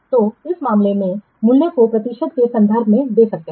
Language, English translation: Hindi, So in this case, the value can give in terms of percentage